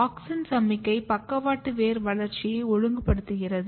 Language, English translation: Tamil, So, as I said that auxin signalling is regulating lateral root development